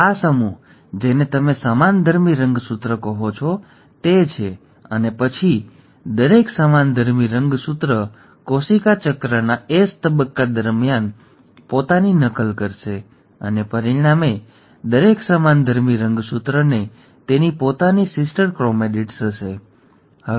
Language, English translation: Gujarati, So this set is what you call as the homologous chromosome, and then each of the homologous chromosome will then duplicate itself during the S phase of the cell cycle and as a result, each homologous chromosome will have its own sister chromatids